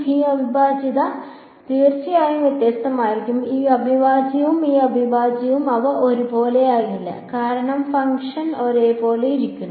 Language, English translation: Malayalam, This integral is of course, going to be different right this integral and this integral they are not going to be the same because even that the function sitting inside the same